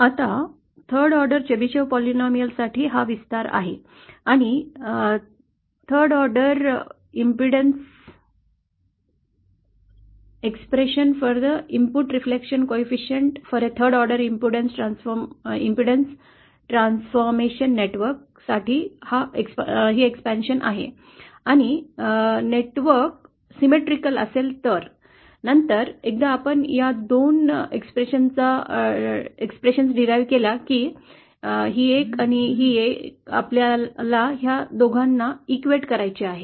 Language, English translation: Marathi, Now this is the expansion for the third order Chebyshev polynomial and this is the expansion for the expression for the input reflection coefficient for a third order impudence transformation network and provided the network is symmetrical, so then once we have derived these two expressions, this one and this one we have to equate the two